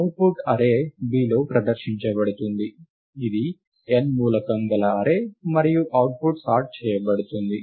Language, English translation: Telugu, The output is presented in an array B, which is also an n element array and the output is sorted